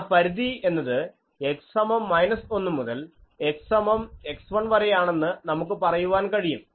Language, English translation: Malayalam, So; that means, x is equal to minus 1 to x is equal to x 1 where x 1 is greater than 1